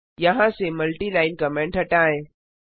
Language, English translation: Hindi, Remove the multi line comments here and here